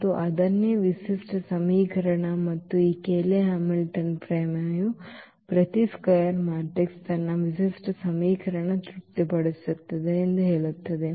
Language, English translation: Kannada, And, that is what the characteristic equation and this Cayley Hamilton theorem says that every square matrix satisfy its characteristic equation